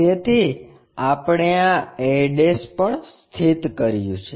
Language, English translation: Gujarati, So, we have located this a also